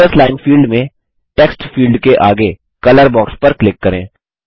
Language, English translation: Hindi, In the Teachers line field, click on the color box next to the Text field